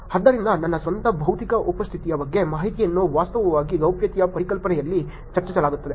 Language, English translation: Kannada, So, information about my own physical presence is actually also discussed in the concept of privacy